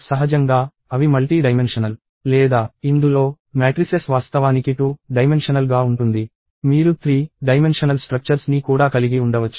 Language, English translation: Telugu, Naturally, they are multidimensional or in this, matrices are actually 2 dimensional; you could also have 3 dimensional structures and so on